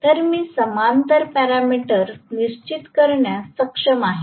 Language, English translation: Marathi, So, I will be able to determine the parallel parameters